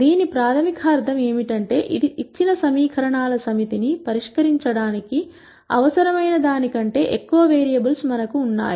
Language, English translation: Telugu, What this basically means, is that we have lot more variables than necessary to solve the given set of equations